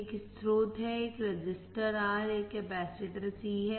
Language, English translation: Hindi, There is the source,a resistor R, a capacitor C